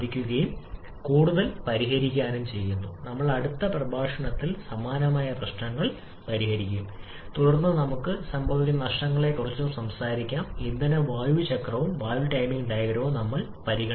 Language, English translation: Malayalam, We shall be solving couple more similar problems in our next lecture and then we shall we talking about those losses which we have not considered fuel air cycle and also the valve timing diagram